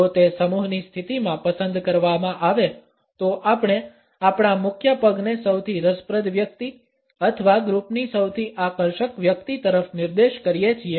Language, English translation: Gujarati, If it is opted in a group position, we tend to point our lead foot towards the most interesting person or the most attractive person in the group